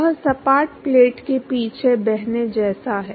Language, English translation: Hindi, That is like flowing past flat plate